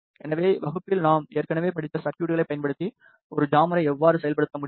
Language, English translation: Tamil, So, this is how a jammer can be implemented using the circuits that we have already study in the class